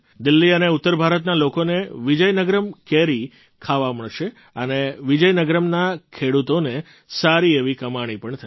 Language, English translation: Gujarati, The people of Delhi and North India will get to eat Vizianagaram mangoes, and the farmers of Vizianagaram will earn well